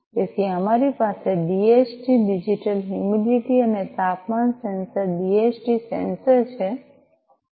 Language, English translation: Gujarati, So, we have the DHT digital Digital Humidity and Temperature sensor DHT sensor